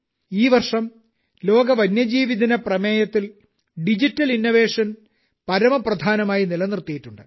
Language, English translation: Malayalam, This year, Digital Innovation has been kept paramount in the theme of the World Wild Life Day